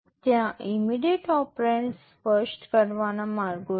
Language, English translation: Gujarati, There are ways of specifying immediate operands